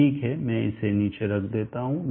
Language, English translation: Hindi, Let me put it down the d